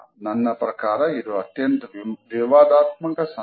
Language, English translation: Kannada, For me this one is one of the most controversial signs